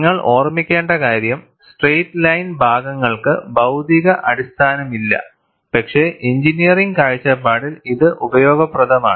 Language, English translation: Malayalam, And what you will have to keep in mind is, the straight line portions have no physical basis, but are useful from an engineering standpoint